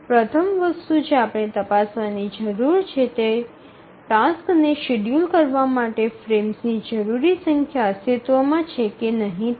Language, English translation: Gujarati, The first thing we need to check whether the number of frames that we require to schedule the task exists